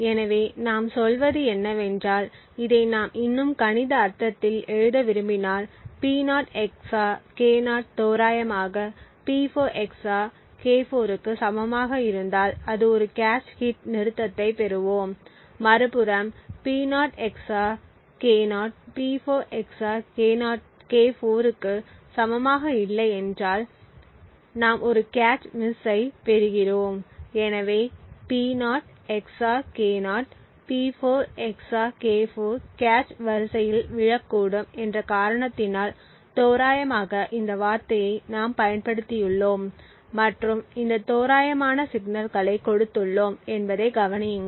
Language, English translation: Tamil, So what we are saying is that if we just want to write it in a more mathematical sense we say that if P0 XOR K0 is approximately equal to P4 XOR K4 then we get a cache hit stop on the other hand if P0 XOR K0 is not equal to P4 XOR K4 then we get a cache miss, so notice that we have used the word approximately and given it this approximate signal because of the reason that P0 XOR K0 may fall in the same cache line as P4 XOR K4 in which case a cache hit could actually happen, so thus the 2nd operation P4 XOR K4 could result either in a cache hit or a cache miss, so what we have is this particular lookups either has a cache hit or a cache miss